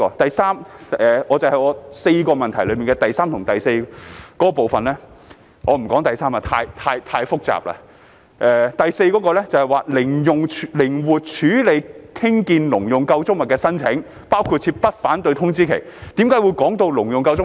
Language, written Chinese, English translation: Cantonese, 第三，關於議案4部分中的第三及第四部分——我不談第三部分，因為太複雜了——第四部分"靈活處理興建農用構築物的申請，包括設不反對通知期"，為何會提到"農用構築物"？, Thirdly as for the third and fourth of the four parts of the motion―I am not going to talk about part 3 because it is too complicated―part 4 reads flexibly processing applications for erecting agricultural structures including setting a no - objection notice period